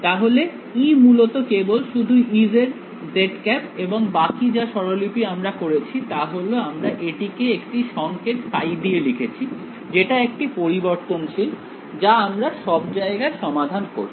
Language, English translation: Bengali, So, E is actually only E z z hat and the further notation that we made was we called it by the symbol phi that was the variable that I was solving everywhere right